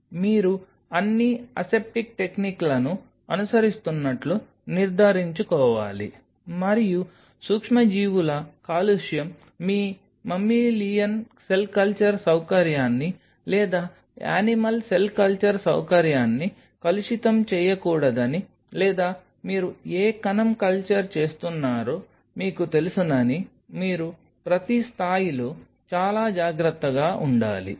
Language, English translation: Telugu, You have to ensure that all the aseptic techniques are being followed and you have to be ultra careful at every level that microbial contamination should not contaminate your mammalian cell culture facility or animal cell culture facility or you know whatever cell cultured you are following